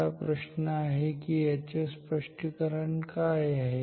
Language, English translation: Marathi, So, now, the question is why what is the explanation ok